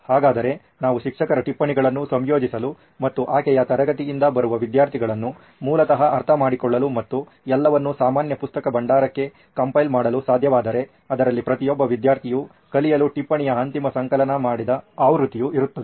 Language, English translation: Kannada, So what if we are able to incorporate the teacher’s notes and then understanding that is coming from the students from her class basically and compile that all into the that common repository wherein a finalized editable version of the note is present for each and every student to learn